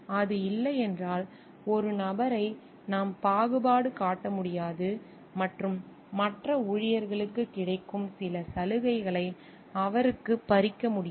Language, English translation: Tamil, If it is not, then we cannot discriminate a person and like deprive him of certain benefits like which the other employees are having